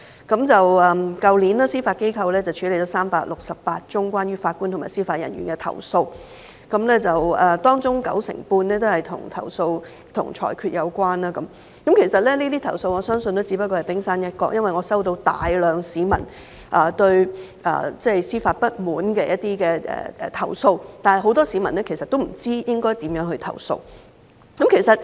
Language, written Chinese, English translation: Cantonese, 去年司法機構處理了368宗關於法官和司法人員的投訴，當中九成半的投訴均與裁決有關，我相信這些投訴只不過是冰山一角，因為我收到大量市民對司法不滿的投訴，但很多市民其實不知可以如何投訴。, Last year the judiciary handled 368 complaints about judges and judicial officers 95 % of which were related to rulings . I believe these complaints were only the tip of the iceberg because I have received numerous complaints from members of the public holding grievances about the administration of justice but many people actually do not know how to lodge their complaints